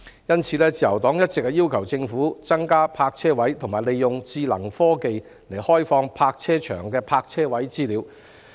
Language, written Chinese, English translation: Cantonese, 因此，自由黨一直要求政府增加泊車位，以及利用智能科技傳送停車場的泊車位資料。, Therefore the Liberal Party has always been asking the Government to increase parking spaces and make use of smart technology to transmit information about the availability of parking spaces in car parks